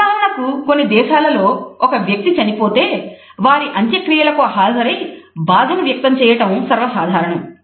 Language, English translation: Telugu, For example, in some countries when a person passes away it is common for individuals to attend a funeral and show grief